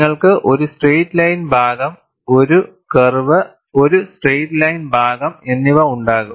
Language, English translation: Malayalam, So, you are not taking the complete curve; you will have a straight line portion, a curve and a straight line portion